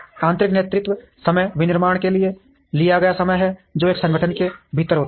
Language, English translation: Hindi, Internal lead time is the time taken for manufacturing, which happens within an organization